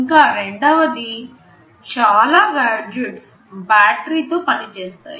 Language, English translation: Telugu, And secondly, there are many gadgets which also operate on battery